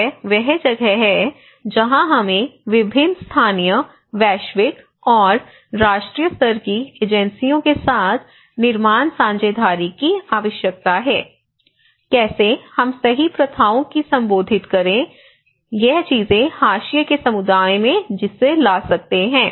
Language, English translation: Hindi, This is where we need the build partnerships with various local and global agencies and national level agencies, how we have to advocate these right practices, how we can bring these things to the marginalized communities